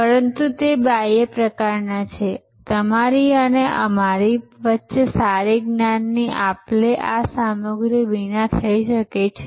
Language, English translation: Gujarati, But, they are kind of external, the good knowledge exchange between you and me can happen without these paraphernalia